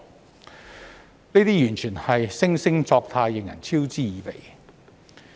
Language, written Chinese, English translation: Cantonese, 這種態度完全是惺惺作態，令人嗤之以鼻。, Such an attitude is utterly hypocritical and contemptuous